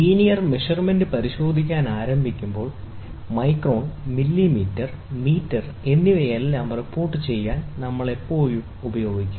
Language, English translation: Malayalam, When we start looking into the linear measurement, then we will always use to report it in terms of microns, millimeter, meter all those things